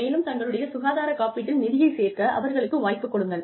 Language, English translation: Tamil, And, give them the opportunity, to put into their health insurance